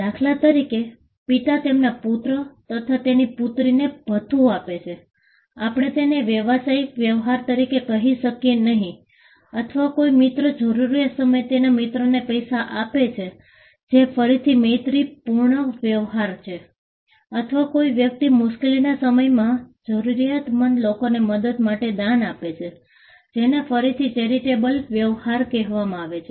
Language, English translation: Gujarati, For an instance, father gives allowance to his son or to his daughter, we do not call that as a business transaction, it can be a familial transaction or a friend gives money to his friend in a time of need that is again friendly transaction or person gives a donation to assist people in distress that is again charitable transaction